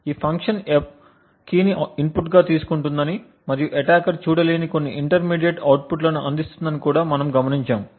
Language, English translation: Telugu, So, note that we also mentioned that this function F takes as input the key and provides some intermediate output which the attacker is not able to see